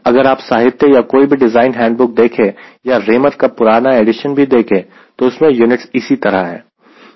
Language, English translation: Hindi, if you see any literature or any design handbook, even old edition of raymer, the units are like this new edition